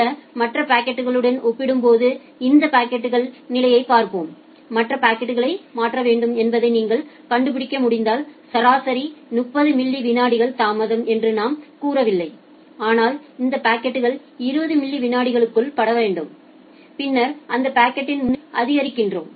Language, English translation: Tamil, Now let us look into this packet status in compared to other packets which are already in my interface queue, if you can find out that well the other packets need to be transferred we did not say average delay of 30 millisecond, but this packet need to be transferred within 20 millisecond then we increase the priority of that packet